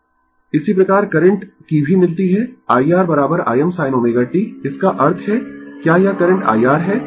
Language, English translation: Hindi, Similarly, current also we have got I R is equal to I m sin omega t; that means, my is this current is I R